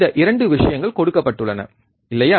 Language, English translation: Tamil, These 2 things are given, right